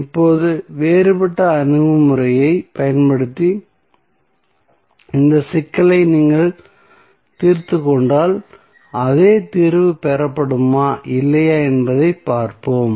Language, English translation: Tamil, Now, if you solve this problem using different approach whether the same solution would be obtained or not let us see